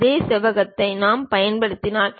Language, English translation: Tamil, The same rectangle we can use it